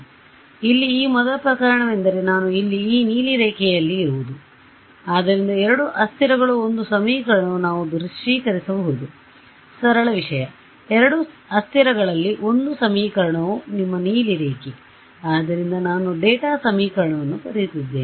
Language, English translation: Kannada, So, this first case over here is where I have this blue line over here; so, two variables one equation that is the simplest thing we can visualize, that one equation in two variables is what a line